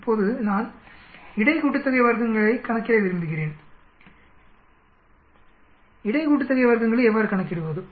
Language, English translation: Tamil, Now I want to calculate between sum of squares, how do you calculate between sum of squares